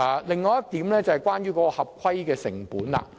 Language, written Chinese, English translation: Cantonese, 另一點是關乎合規成本的。, Another point is about compliance costs